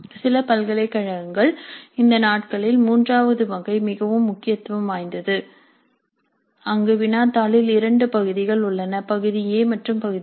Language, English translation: Tamil, There is a third type which has become more prominent these days in some of the universities where the question paper has two parts, part A and part B